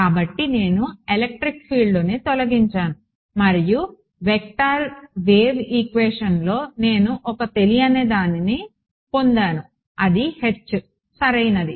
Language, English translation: Telugu, So, I have eliminated the electric field and I have got 1 vector wave equation in my unknown which is H right